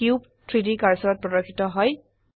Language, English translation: Assamese, The cube snaps to the 3D cursor